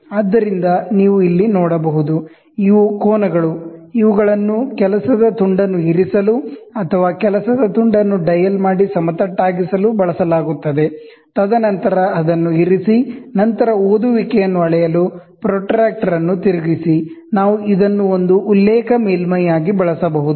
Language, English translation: Kannada, So, you can see here, these are the angles, which are used to place the work piece or dial the work piece and make it flat, and then place it, then rotate the protractor to measure the reading, we can use this as a reference surface